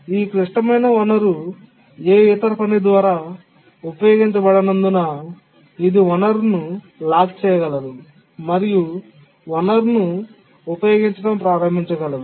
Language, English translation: Telugu, And since the critical resource was not being used by any other task, it could lock the resource and started using the resource